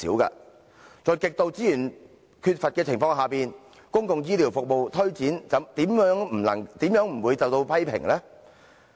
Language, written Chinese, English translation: Cantonese, 在資源極度缺乏的情況下，公共醫療服務的推展又豈會不受批評呢？, In the face of an acute shortage of resources no wonder the implementation of public healthcare services is subject to criticisms